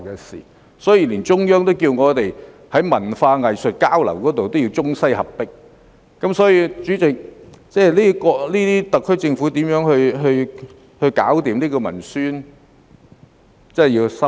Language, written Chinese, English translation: Cantonese, 所以，連中央也要我們在文化藝術交流方面要中西合璧，代理主席，特區政府如何"搞掂"文宣，真的要深思。, And so even the Central Authorities want us to include both Chinese and western elements in arts and cultural exchanges . Deputy President the SAR Government should really give some thought to developing a strategy for effective publicity